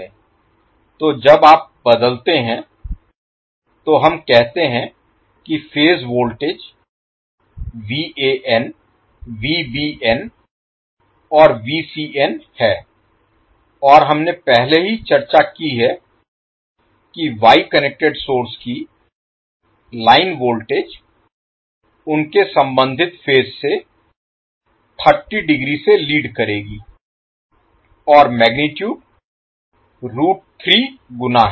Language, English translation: Hindi, So when you convert, let us say that the phase voltages are Van, Vbn and Vcn and we have already discussed that line line voltage of Wye connected source leads their corresponding phase by 30 degree and root 3 times the magnitude